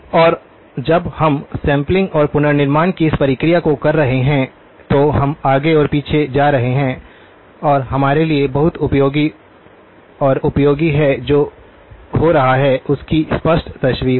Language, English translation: Hindi, And when we are doing this process of sampling and reconstruction, we are going back and forth and very useful and helpful for us to have a clear picture of what is happening, okay